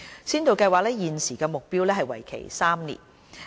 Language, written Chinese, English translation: Cantonese, 根據現時的目標，先導計劃會為期3年。, With reference to the current target the pilot Programme is going to run for three years